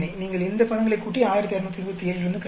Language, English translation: Tamil, You add these these terms and subtract from 1627